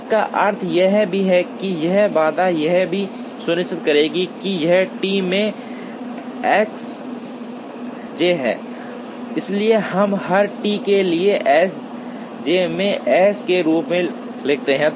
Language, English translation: Hindi, This also means this constraint would also ensure this is T into S j, so we will write is as T into S j for every j